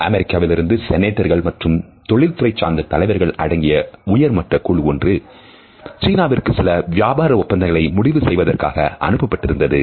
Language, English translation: Tamil, It so, happened that a high powered American delegation which consisted of their senators and business leaders was sent to China to finalize certain business deals